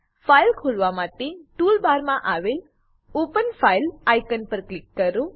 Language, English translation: Gujarati, To open the file, click on Open file icon on the tool bar